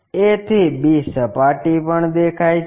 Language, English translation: Gujarati, a to b surface also visible